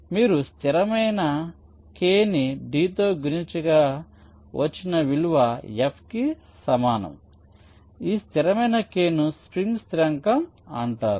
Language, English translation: Telugu, so you can write f equal to some constant k into d, where this constant k is called the spring constan